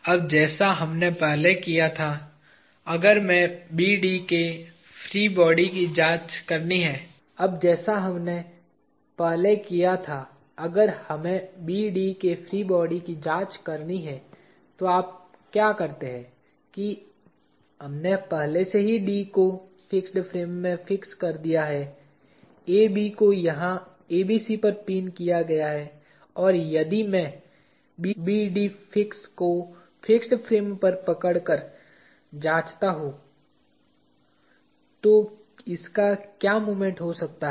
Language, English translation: Hindi, Now like what we did earlier, if we have to examine the free body of BD what you do is we already have D fixed to the fixed frame; AB pinned to ABC here and if I hold BD fix to the fixed frame and examine, what moment this can have